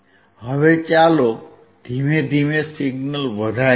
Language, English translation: Gujarati, Now, let us increase the signal slowly